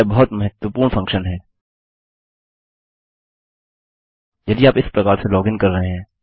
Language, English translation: Hindi, This is a very useful function if youre doing this kind of logging in